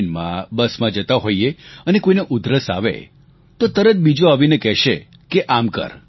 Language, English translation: Gujarati, While travelling in the train or the bus if someone coughs, the next person immediately advises a cure